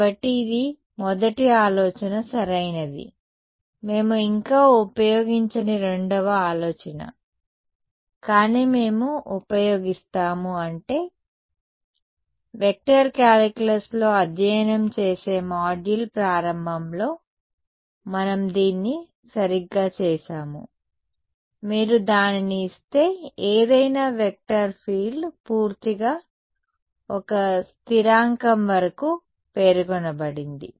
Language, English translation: Telugu, So, this is the first idea right the second idea that we are yet to use, but we will use is that we are done this right in the beginning of the module studying in vector calculus, that any vector field is completely specified up to a constant if you give its